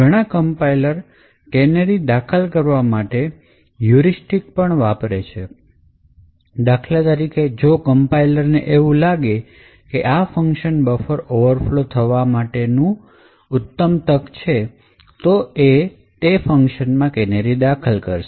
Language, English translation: Gujarati, Some compilers also, use heuristics to insert canaries for instance if a compiler finds that in a function there is a potential for a buffer overflow only then the canaries are inserted